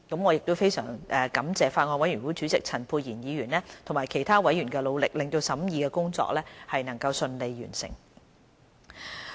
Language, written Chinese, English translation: Cantonese, 我非常感謝法案委員會主席陳沛然議員及其他委員的努力，令審議工作順利完成。, I am deeply grateful to Dr Pierre CHAN Chairman of the Bills Committee and other members for their efforts which enabled the smooth completion of the scrutiny . Let us take a look at the background of the Bill